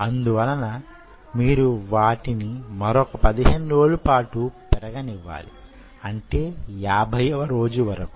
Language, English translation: Telugu, so then you allowed them to grow for another fifteen days